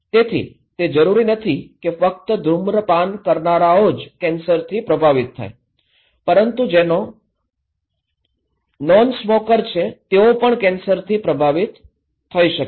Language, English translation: Gujarati, So, it is not necessarily that only those who are smokers they will be affected by cancer but also those who are nonsmoker can also affected by cancer right